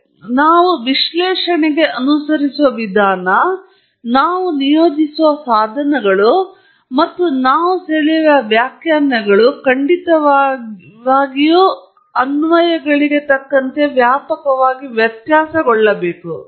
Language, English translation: Kannada, Therefore, the procedure that we follow for an analysis, the tools that we deploy, and the interpretations that we draw have to definitely vary broadly